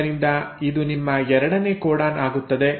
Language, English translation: Kannada, So this becomes your second codon